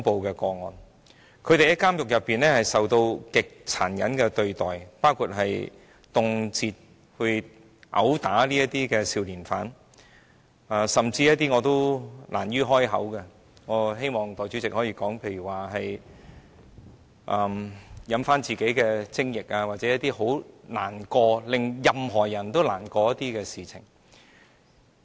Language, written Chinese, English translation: Cantonese, 少年犯在監獄中受到極殘忍的對待，包括動輒被毆打，甚至遭受我亦難於啟齒的情況——代理主席，我希望說出來——例如是嚥下自己的精液或其他教人感到難過的事情。, Juvenile prisoners are treated in an extremely brutal way in prisons including arbitrary assault and they have experienced ordeals that even I am embarrassed to talk about―Deputy Chairman I wish to say it out―such as swallowing their own semen or other saddening instances